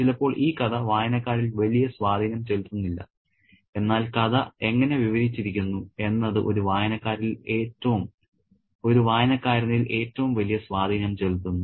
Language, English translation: Malayalam, Sometimes the story and the story doesn't make the greatest impact on a reader, but how that story is narrated makes the greatest impact on a reader